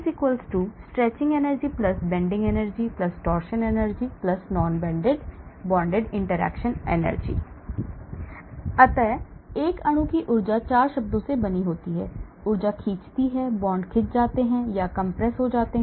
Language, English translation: Hindi, Energy = Stretching energy + Bending energy + Torsion energy + Non bonded interaction energy So energy of a molecule is made up of 4 terms, stretching energy, the bond gets stretched or compressed